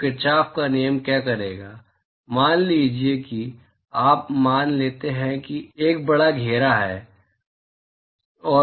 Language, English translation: Hindi, So, what Kirchhoff’s law would do is, supposing you assume that there is a large enclosure